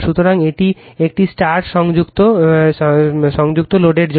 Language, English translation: Bengali, So, this is for a star connected load